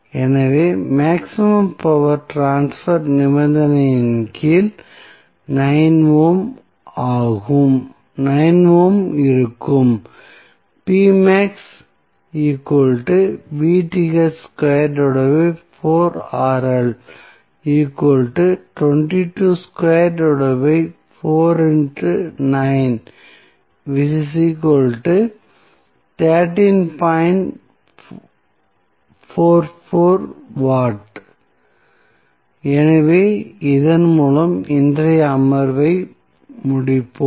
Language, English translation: Tamil, So, under maximum power transfer condition 9 ohm would be the value of load Rl